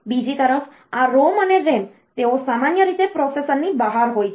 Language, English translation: Gujarati, On the other hand this ROM and RAM, they are typically outside the processor